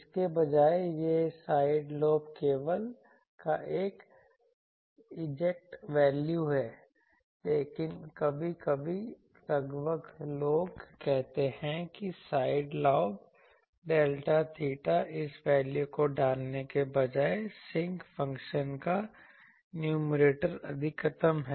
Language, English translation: Hindi, Instead of this, this is an exact value of side lobe level, but sometimes approximately people say that side lobe delta theta is instead of putting this value, sometimes people say that numerator of sinc function is maximum